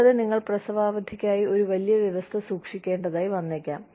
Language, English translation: Malayalam, And, you may need to keep a, larger provision for maternity leave